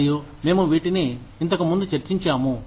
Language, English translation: Telugu, And, we have discussed these earlier